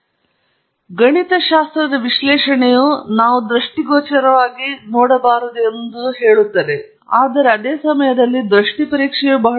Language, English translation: Kannada, So, you see, mathematical analysis brings out what we cannot really visually see, but at the same time visual examination is very important